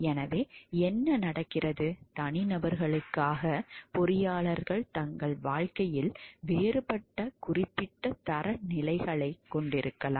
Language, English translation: Tamil, So, what happens though as individuals, engineers may have a different particular standards in their life